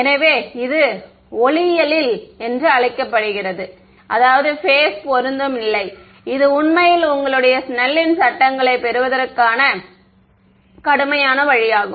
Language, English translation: Tamil, So, that is what is called in optics the phase matching condition, this is actually the rigorous way of deriving yours Snell’s laws ok